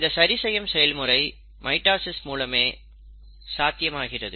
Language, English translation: Tamil, Now this kind of a repair mechanism is possible because of mitosis